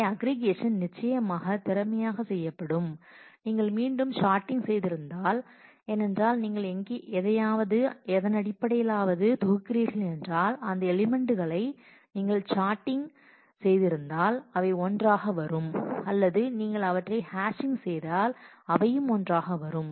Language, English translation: Tamil, So, aggregation is certainly will be efficiently done if you have again done sorting because if you are grouping by something then if you have sorted on that those elements will come together and or if you are hashing then they will also come together